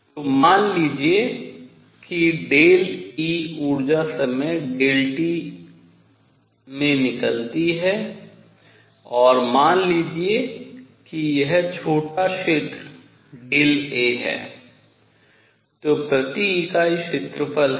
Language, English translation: Hindi, So, suppose delta E energy comes out in time delta t and suppose this area is small area is delta A then per unit area